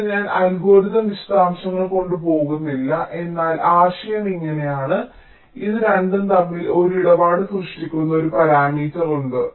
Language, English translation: Malayalam, so i am not going with the details of the algorithm, but the idea is like this: there is a parameter that creates a tradeoff between these two